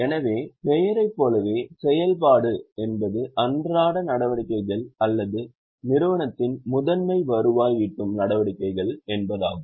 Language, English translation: Tamil, So, operating as the name suggests means day to day activities or principal revenue generating activities of the enterprise